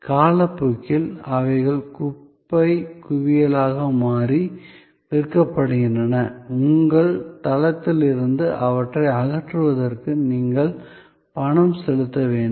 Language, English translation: Tamil, And over time, they become a junk heap and at sold off, often you have to pay for taking them away removing from your site